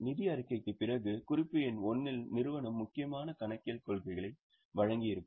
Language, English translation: Tamil, After the financial statement in the note number one, company would have given important accounting policies